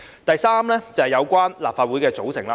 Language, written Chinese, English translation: Cantonese, 第三，有關立法會的組成。, The third concerns the composition of the Legislative Council